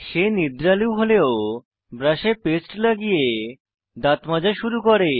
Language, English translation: Bengali, He is sleepy but manages to pick up his brush, apply paste and start brushing